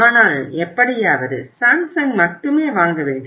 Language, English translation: Tamil, But anyhow I have to buy it, only Samsung